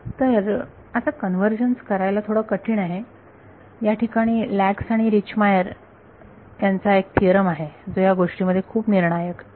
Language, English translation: Marathi, So, now, because convergence is hard to do, here is the theorem by Lax and Richtmyer which is very crucial in these things